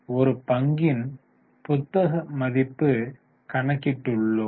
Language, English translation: Tamil, We have just calculated book value per share